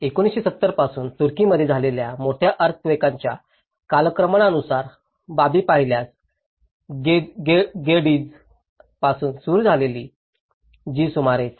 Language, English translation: Marathi, If you look at the chronological aspects of the major earthquakes in the Turkey since 1970, starting from Gediz which is about 7